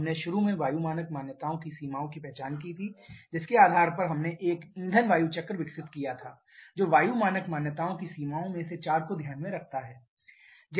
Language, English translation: Hindi, We initially identified the limitations of the air standard assumptions, based on that we developed a fuel air cycle which takes into consideration four of the limitations of air standard assumptions